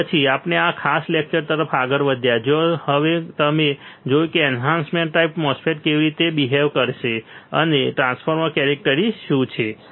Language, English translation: Gujarati, And then we moved onto the to this particular lecture, where now you have seen how the enhancement type MOSFET would behave and what are the transfer characteristics